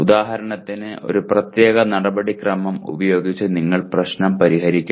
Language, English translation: Malayalam, Like for example using a certain procedure you should solve the problem